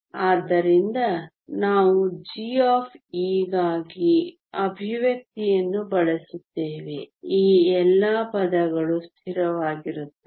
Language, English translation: Kannada, So, we will use the expression for g of e all these terms are constant